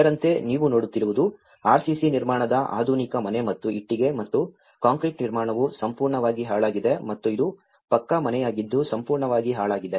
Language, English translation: Kannada, Like in this what you can see is the modern house which has RCC construction and which is a brick and concrete construction has completely damaged and this is a pucca house and which has completely damaged